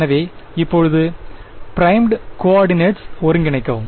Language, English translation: Tamil, So, now, integrate over primed coordinates